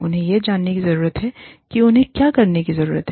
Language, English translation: Hindi, They need to know, what they need to do